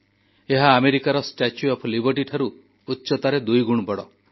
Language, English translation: Odia, It is double in height compared to the 'Statue of Liberty' located in the US